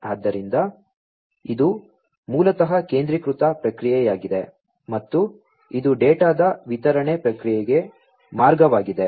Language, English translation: Kannada, So, this is basically the centralized processing, and this one is the pathway for the distributed processing of the data